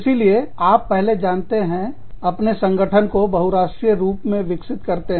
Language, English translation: Hindi, So, you first, you know, so you evolve your, multinational organization